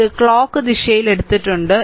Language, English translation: Malayalam, So, we have taken like these clockwise